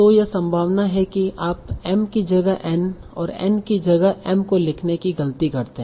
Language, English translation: Hindi, So it is very likely that you mistake m for n or n for m